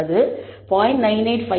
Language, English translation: Tamil, So, from 0